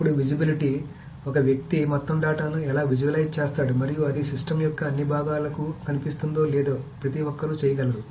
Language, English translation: Telugu, Then visibility, how does one visualize the entire data and whether it is visible to all parts of the system